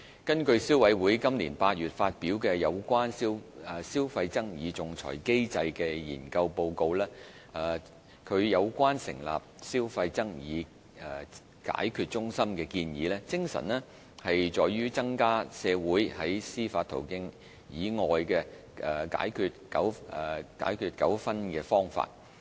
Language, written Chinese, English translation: Cantonese, 根據消委會今年8月發表有關"消費爭議仲裁機制"的研究報告，其有關成立"消費爭議解決中心"的建議，精神在於增加社會在司法途徑以外解決糾紛的方法。, According to the study report published by CC in August this year on consumer arbitration its recommendations on establishing a Consumer Dispute Resolution Centre seeks to promote to the community the notion of settling disputes outside the judicial system